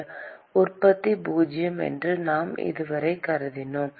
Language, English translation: Tamil, We so far assumed that heat generation is zero